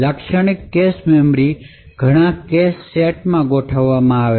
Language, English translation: Gujarati, So, a typical cache memory is organized into several cache sets